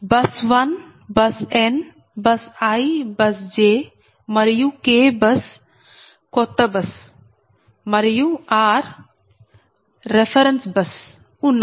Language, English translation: Telugu, so i have told you that bus i and j, they are old buses, right, and k is a new bus and r is a reference bus